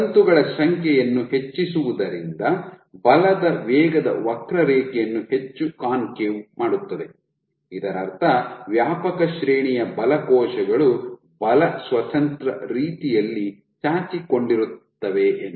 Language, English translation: Kannada, Increasing the number of filaments will make the force velocity curve more and more concave, which means over a wide range of forces in this range cells can protrude in a force independent manner ok